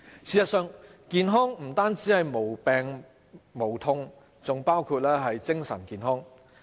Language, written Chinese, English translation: Cantonese, 事實上，健康不止是無病無痛，還包括精神健康。, Actually good health means more than a body without illnesses or pain . It also includes mental health